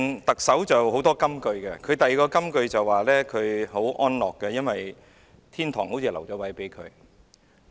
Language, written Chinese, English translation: Cantonese, 特首"林鄭"有很多金句，她另一句金句是說她很安樂，因為天堂已留位給她。, Another famous line of hers is that she has peace of mind knowing that she is guaranteed a place in heaven